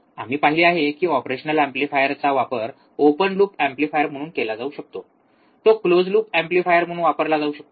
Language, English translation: Marathi, We have seen operational amplifier can be used as an op open loop amplifier, it can be used as an closed loop amplifier